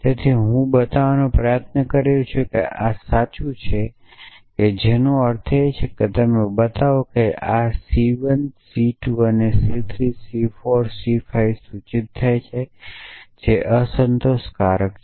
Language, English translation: Gujarati, So, I am trying to show that this is true which means you show that negation of this C 1 and C 2 and C 3 and C 4 and C 5 implies T is unsatisfiable